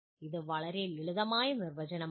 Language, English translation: Malayalam, It is a very simple definition